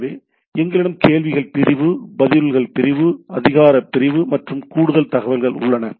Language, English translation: Tamil, So, that we have the questions section, answers section, authority section and additional information